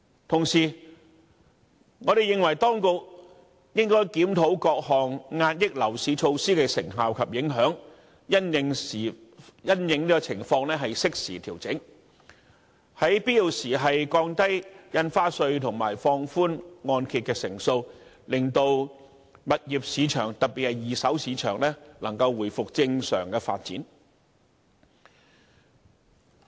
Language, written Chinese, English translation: Cantonese, 同時，我們認為，當局應該檢討各項遏抑樓市措施的成效及影響，因應情況適時調整，在必要時降低印花稅及放寬按揭成數，令物業市場能夠回復正常發展。, Meanwhile we consider that the Administration should review the effectiveness and impacts of various measures of curbing the property market make timely adjustments in response to the circumstances and where necessary lower the stamp duty rate and relax the loan - to - value ratios so that the property market especially the second - hand market can resume normal development